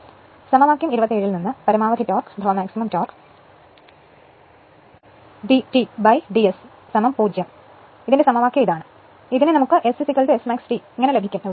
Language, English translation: Malayalam, So, from equation 27 this is my equation for maximum torque d T upon d S is equal to 0 is equal for which we will get S is equal to S max T